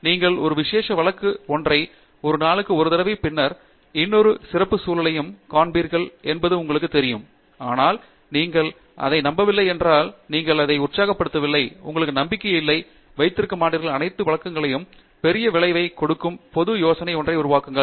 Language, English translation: Tamil, You know, you might show it for one special case one day and then one more special case but, if you donÕt believe in it you are not excited by it, you do not have confidence in it, you are not going to keep exhausting all the cases and build the general idea that gives you the big result